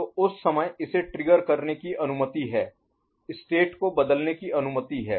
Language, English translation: Hindi, So, that time it is allowed to trigger, allowed to change the state, ok